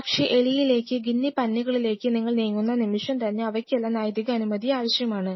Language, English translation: Malayalam, But apart from it the very moment you move to the rodent’s guinea pigs they all need ethical clearances